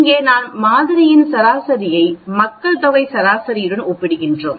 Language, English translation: Tamil, Here we are comparing the mean of the sample with the population mean